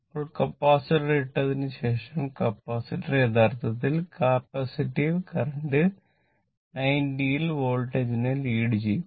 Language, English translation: Malayalam, Now, after putting the Capacitor, Capacitor actually capacitive current will reach the Voltage by 90 degree